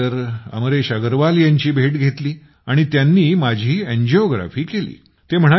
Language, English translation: Marathi, Then we met Amresh Agarwal ji, so he did my angiography